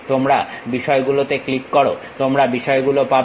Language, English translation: Bengali, You click the things you get the things